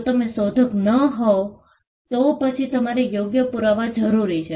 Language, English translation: Gujarati, If you are not the inventor, then, you require a proof of right